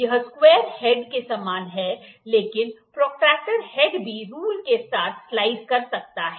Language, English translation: Hindi, This is similar to the square head, but the protractor head also can slide along the rule